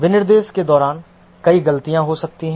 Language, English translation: Hindi, During the specification may make several mistakes